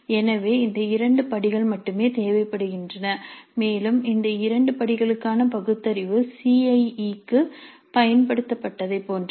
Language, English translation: Tamil, So these two steps only are required and the rational for these two steps is the same as the one used for CIE